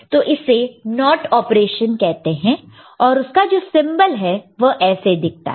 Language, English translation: Hindi, So, it is called NOT operation and the corresponding symbols is like this